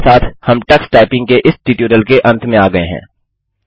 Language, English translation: Hindi, This brings us to the end of this tutorial on Tux Typing